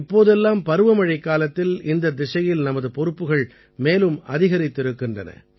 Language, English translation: Tamil, These days during monsoon, our responsibility in this direction increases manifold